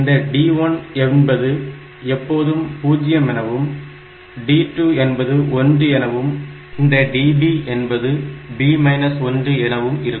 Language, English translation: Tamil, This d1 is always 0 then d 2 is 1